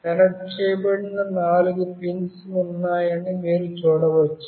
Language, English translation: Telugu, You can see there are four pins that are connected